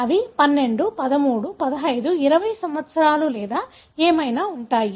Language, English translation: Telugu, They are 12, 13, 15, 20 years or whatever